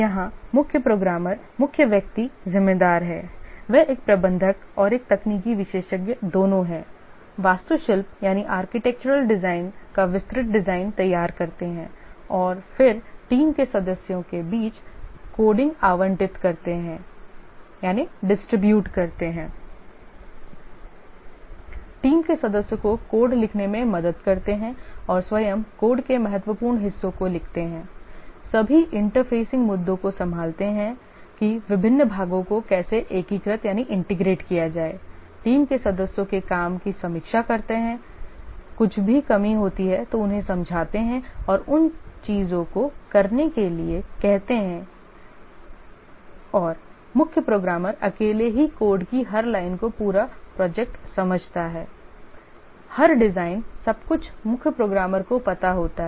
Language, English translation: Hindi, He is both a manager and a technical expert, carries out the architectural design, detailed design, and then allocates the coding among the team members, helps the team members and the critical parts of the code himself writes, handles all interfacing issues how to integrate the different parts, reviews the work of team members, anything deficient explains them and ask them to do those things and the chief programmer alone understands the complete project